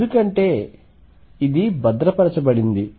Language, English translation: Telugu, Because it is conserved